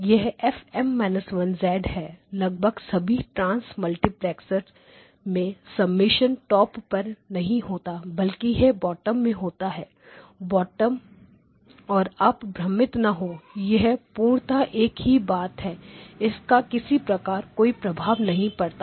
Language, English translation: Hindi, This is FM minus 1 of z in most trans multiplexers the summation is not at the top it is shown at the bottom and do not get confused it is exactly the same thing it does not matter at all